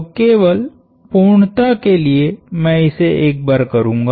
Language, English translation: Hindi, So, I will just for the sake of completeness, I will do this once